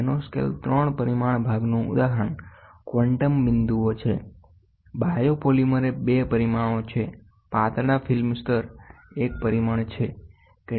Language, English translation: Gujarati, Nanoscale three dimension part example is quantum dots; biopolymers are two dimension thin film layer is one dimension